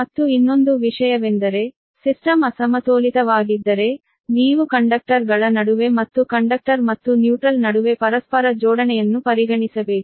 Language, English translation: Kannada, and another thing is that: but if system is unbalanced, then you have to consider that the mutual coupling between the conductors, as well as between the conductor and the, your neutral right